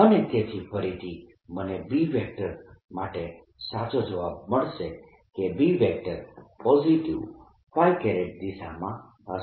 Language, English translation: Gujarati, correct answer for b that b would be going in the positive directions